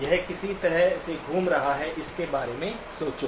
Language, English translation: Hindi, Which way is it rotating, think about it